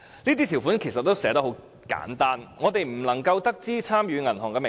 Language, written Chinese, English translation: Cantonese, 上述條款其實寫得很簡單，我們並不能知悉參與的銀行名稱。, The aforesaid terms were in fact very sketchy . We did not know the names of the participating banks